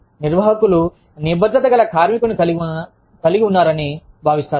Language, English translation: Telugu, They will feel, that they have a committed worker